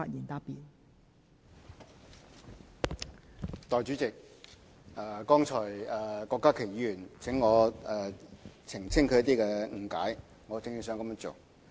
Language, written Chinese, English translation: Cantonese, 代理主席，郭家麒議員剛才要求我澄清他的一些理解，我正打算這樣做。, Deputy Chairman Dr KWOK Ka - ki has asked me to clarify certain of his understanding earlier . In fact I have just planned to do so